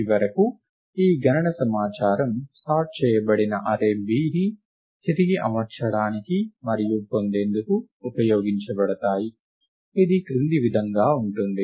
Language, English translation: Telugu, And finally, these count information are used to rearrange and obtain the sorted array B, which is as follows